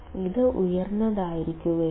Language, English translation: Malayalam, It should be high